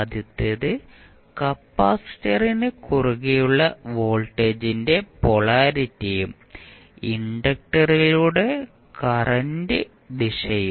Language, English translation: Malayalam, First is that polarity of voltage vt across capacitor and direction of current through the inductor we have to always keep in mind